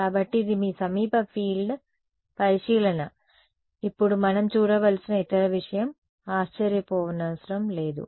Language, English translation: Telugu, So, this is your near field consideration now not surprisingly that the other thing that we should look at is